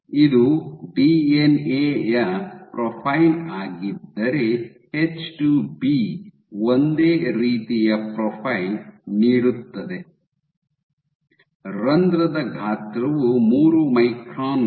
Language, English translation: Kannada, If this is the profile of the DNA, H2B give the exact same profile, your pore size is 3 microns